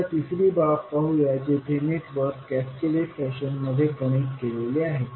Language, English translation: Marathi, Now, let us see the third case where the network is connected in cascaded fashion